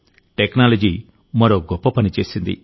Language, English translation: Telugu, Technology has done another great job